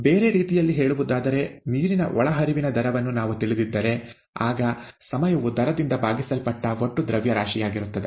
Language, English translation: Kannada, The, in other words, if we know the rate of water input, okay, then the time is nothing but the mass, total mass divided by the rate